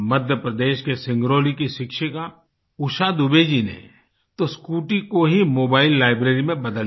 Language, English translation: Hindi, A teacher from Singrauli in Madhya Pradesh, Usha Dubey ji in fact, has turned a scooty into a mobile library